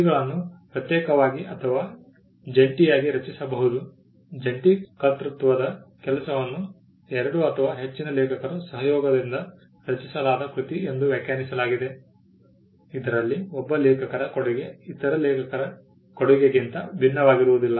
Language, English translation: Kannada, Works can be either created separately or jointly, a work of joint authorship is defined as a work produced by the collaboration of two or more authors, in which the contribution of one author is not distinct from the contribution of other authors